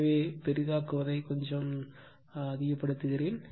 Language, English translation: Tamil, So, let me increase the zoom